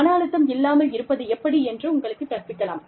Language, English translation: Tamil, They could teach you, how to, you know, have not be stressed